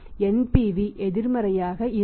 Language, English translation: Tamil, So what is NPV